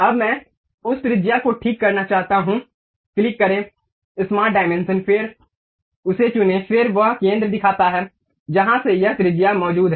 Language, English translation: Hindi, Now, I would like to adjust radius of that click smart dimension then pick that, then it shows the center from where this radius is present